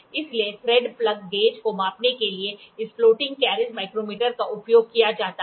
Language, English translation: Hindi, So, this floating carriage micrometer is used to measure the thread plug gauge